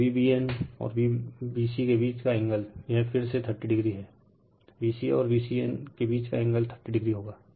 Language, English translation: Hindi, And angle between V b n and V b c, it is your 30 degree again and angle between V c a will be 30 degree